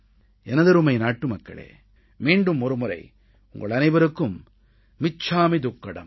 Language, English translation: Tamil, My dear countrymen, once again, I wish you "michchamidukkadm